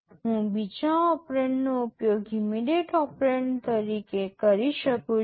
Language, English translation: Gujarati, I can use the second operand as an immediate operand